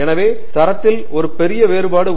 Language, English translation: Tamil, So, qualitatively there is a big difference